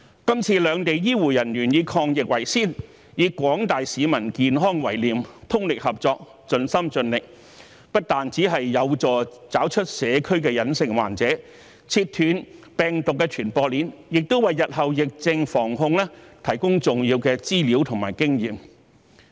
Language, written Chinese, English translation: Cantonese, 今次兩地醫護人員以抗疫為先，以廣大市民的健康為念，通力合作，盡心盡力，不但有助找出社區的隱性患者，切斷病毒的傳播鏈，亦為日後疫症防控提供重要的資料和經驗。, This time the healthcare personnel from Hong Kong and the Mainland have put the fight against the epidemic as their first priority and they have made concerted and all - out efforts with the health of the public in mind . Not only have they helped identify the asymptomatic patients in the community and cut the transmission chain of the virus but also provided valuable information and experience on disease control and prevention in the future